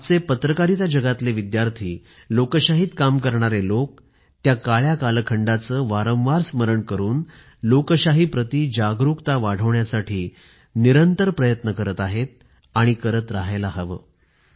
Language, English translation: Marathi, The presentday students of journalism and the champions of democracy have been endeavouring towards raising awareness about that dark period, by constant reminders, and should continue to do so